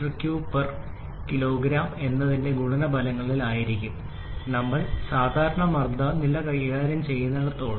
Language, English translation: Malayalam, 001 meter cube per kg as long as we are dealing with normal pressure levels